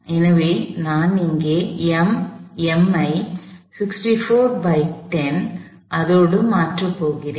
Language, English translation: Tamil, So, I am going to replace m here as well with the same 64 over 10